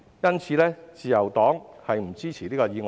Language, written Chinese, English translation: Cantonese, 因此，自由黨不支持議案。, Therefore the Liberal Party does not support the motion